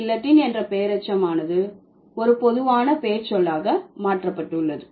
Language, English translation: Tamil, So, a proper noun which is guillotine, has been converted into a common noun